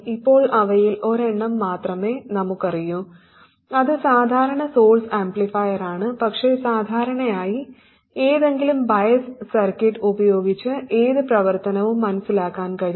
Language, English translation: Malayalam, Right now we know only one of them that is the common source amplifier but typically any function can be realized with any bias circuit